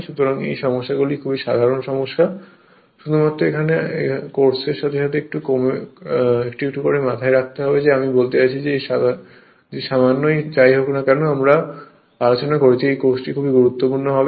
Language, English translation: Bengali, So, this problems are very simple problem, only you have to keep little bit in your mind with this this course, I mean whatever little bit, we discussed this course will be is completed right